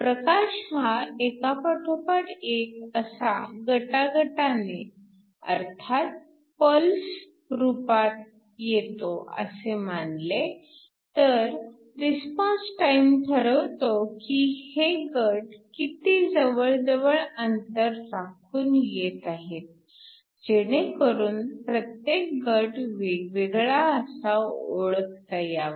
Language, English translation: Marathi, So, If we think of light arriving in the form of pulses the response time determines how close these pulses are so that they can be individually detected